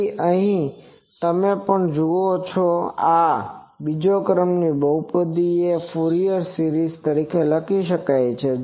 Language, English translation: Gujarati, So, here also you see that this second order polynomial can be written as a Fourier series in u